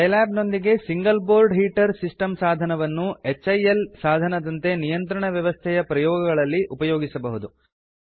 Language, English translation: Kannada, Scilab in combination with Single Board Heater System device is used as a HIL setup for performing control system experiments